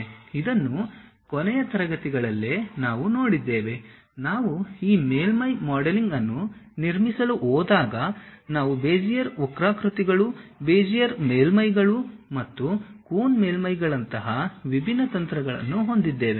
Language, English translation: Kannada, This in the last classes, we have seen, when we are going to construct this surface modeling we have different strategies like Bezier curves, Bezier surfaces, and coon surfaces and so on